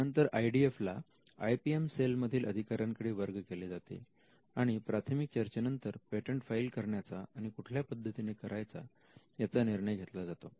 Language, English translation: Marathi, Now, the IDF is referred to an in house attorney and after the preliminary discussions a decision is taken whether to file a patent and how to file the patent